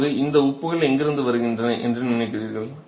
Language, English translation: Tamil, Now where do you think the salts are coming from